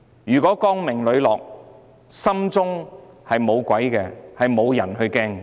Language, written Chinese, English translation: Cantonese, 如果她光明磊落，心中無鬼，便不需要害怕。, If she has nothing to hide and does not feel guilty in heart she needs not be afraid